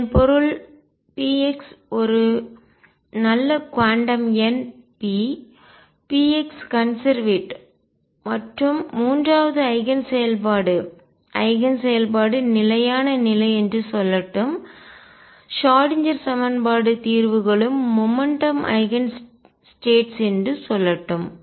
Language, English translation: Tamil, This means p x is a good quantum number p x is conserved and third Eigen function let me say Eigen function is the stationary state Schrödinger equation solutions are also momentum Eigen states